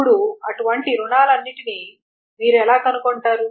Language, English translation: Telugu, Now, how do you find out all such loans